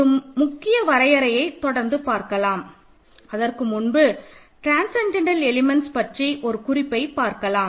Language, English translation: Tamil, Let me now continue so important definition now before I write the definition, let me just make one remark about transcendental elements